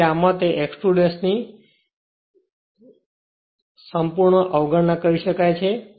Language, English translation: Gujarati, So, that x 2 dash can be altogether neglected